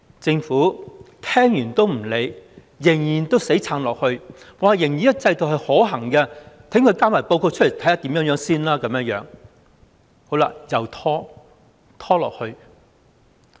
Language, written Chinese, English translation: Cantonese, 政府聽完也不理會，仍然在死撐，仍然說這個制度可行，待它交報告後再看情況，一再拖延。, The Government has turned a deaf ear to the advice and grasping at straws maintained that as the system works it will not review the situation before the submission of the panels report resulting in further delays